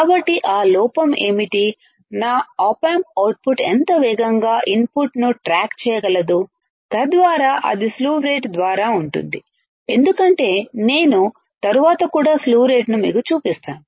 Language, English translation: Telugu, So, what is that lack, how fast my op amp output can track the input right, so that will be by slew rate as I will show you the slew rate also later on